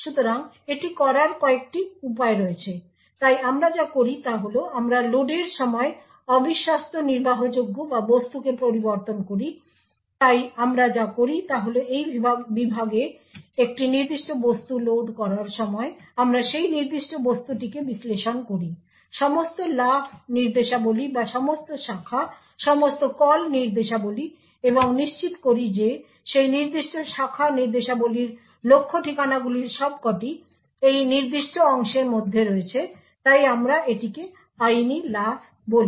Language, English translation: Bengali, So there are a couple of ways to do this, so what we do is that we modify the untrusted executable or object at the load time so what we do is we while loading a particular object into this segment we parse that particular object look out for all the jump instructions or all the branches all the call instructions and ensure that the target address for those particular branch instructions all are within this particular segment, so therefore we call this as legal jumps